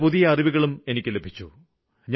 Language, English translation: Malayalam, I got a lot of new information